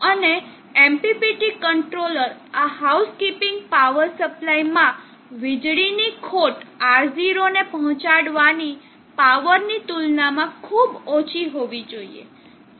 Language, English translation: Gujarati, And the loss in power to this housekeeping power supply in the MPPT controller should be very low compare to the amount of power that is to be deliver to R0